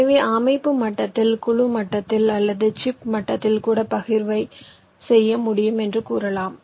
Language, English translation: Tamil, so you can say the partitioning can be done at the system level, at the board level, or even inside the chip, at the chip level